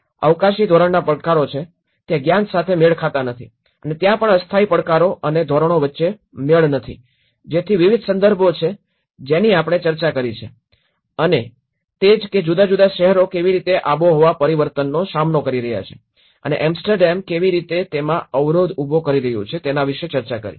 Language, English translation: Gujarati, There are spatial scale challenges, there are knowledge mismatches and there also the temporary challenges and mismatches between norms so like that there are various contexts which we discussed and that is where how different cities are coping up with the climate change and how Amsterdam, how their barrier